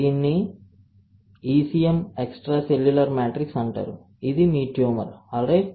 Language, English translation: Telugu, It is called ECM extracellular matrix this is your tumor, alright